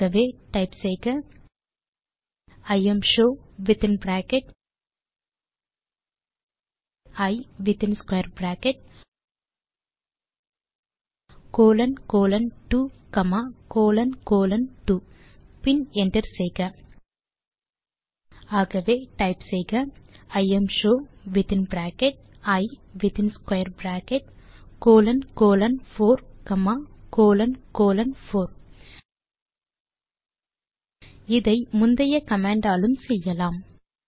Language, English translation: Tamil, So type imshow within bracket I with square bracket colon colon 2 comma colon colon 2 and hit enter Then type imshow then within bracket colon colon 4 and a name colon colon 4 It can even replaced by previous command given